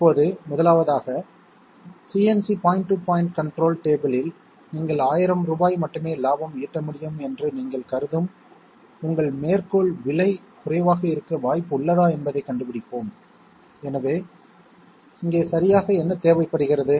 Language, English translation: Tamil, Now, first of all we will find whether there is any chance that your quoted price assuming that you want to make a profit of only 1000 rupees for the CNC point to point control table would be the lowest, so what is exactly required here